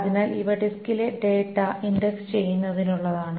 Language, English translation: Malayalam, So these are for indexing the data on the disk